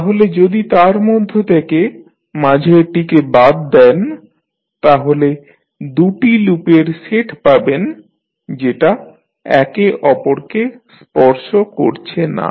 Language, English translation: Bengali, So, out of that if you remove the middle one you will get two sets of loops which are not touching to each other